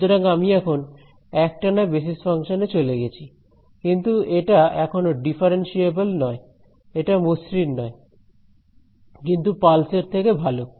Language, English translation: Bengali, So, I have now moved to a continuous basis function, but still not differentiable right it is not smooth, but it is it is better than pulse